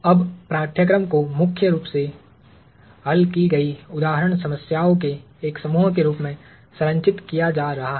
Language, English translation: Hindi, Now, the course itself is going to be structured as primarily a set of solved example problems